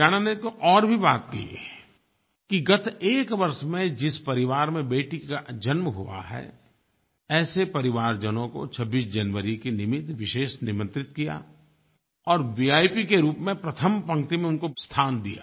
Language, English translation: Hindi, Last year in Haryana something even unique happened, the families wherein a girl child was born was invited as special guest and given the seat in the first row as a VIP